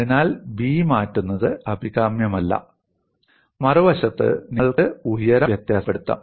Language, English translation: Malayalam, So, it is not desirable to change B; on the other hand, you can vary the height